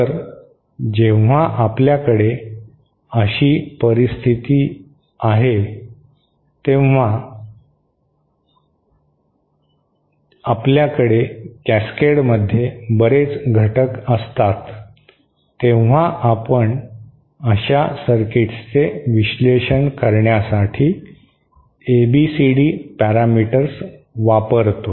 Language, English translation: Marathi, So, when we have such a uh scenario where we have many elements in cascade, we do use the ABCD parameters to analyse such circuits